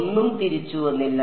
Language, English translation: Malayalam, Nothing came back